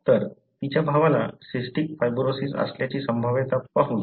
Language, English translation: Marathi, So, let us look into that probability that her brother had cystic fibrosis